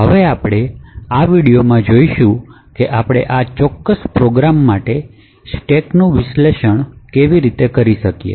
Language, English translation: Gujarati, Now what we will see in this particular video is how we could actually analyse the stack for this particular program